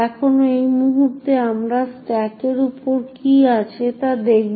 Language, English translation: Bengali, Now at this point we shall look at what is present on the stack